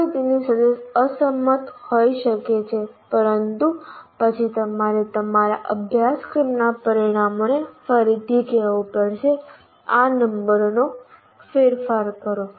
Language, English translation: Gujarati, You may, one may disagree with that but then you have to reword your course outcomes to modify this state, modify these numbers